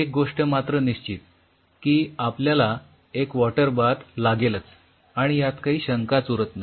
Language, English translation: Marathi, So, definitely will be needing on water bath that is for sure there is no question on that